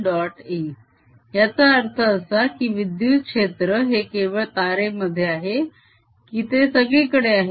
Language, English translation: Marathi, does it mean that electric field is only in that wire or does it exist everywhere